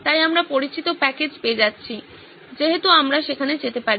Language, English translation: Bengali, So we are getting to known package as we can go up there